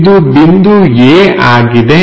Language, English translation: Kannada, So, let us call point A